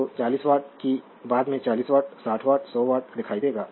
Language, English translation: Hindi, So, 40 watt that later will see 40 watt, 60 watt or 100 watt right